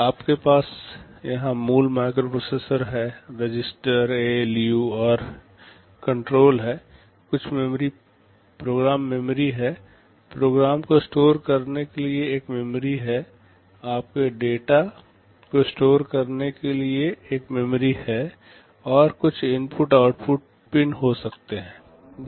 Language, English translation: Hindi, You have the basic microprocessor here, register, ALU and the control, there is some program memory, a memory to store the program, there is a memory to store your data and there can be some input output pins